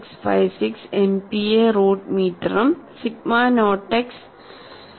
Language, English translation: Malayalam, 656 Megapascal root meter and sigma naught x is 2